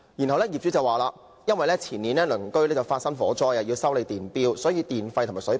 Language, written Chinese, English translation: Cantonese, 其後，業主表示，因為前年隔鄰發生火災，要修理電錶，所以要提高電費和水費。, The landlord later explained that owing to a fire that broke out in the next building two years earlier he had to repair the meters and thus had to raise the electricity and water charges